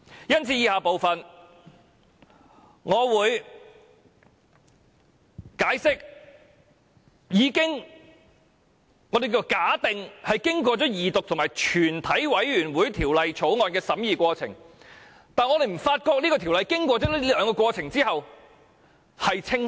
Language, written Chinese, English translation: Cantonese, 因此，我會在以下部分解釋為何經過二讀和全體委員會的審議過程，我們仍不覺得《條例草案》變得更清晰。, For that reason I will explain in the following part why we consider the Bill has not become more lucid after the Second Reading and Committee stage of the whole Council